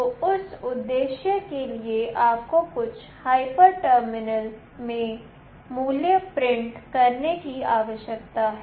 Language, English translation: Hindi, So, for that purpose you need to print the value in some hyper terminal